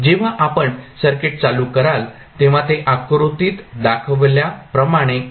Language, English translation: Marathi, When you switch on the circuit it will be the circuit like shown in the figure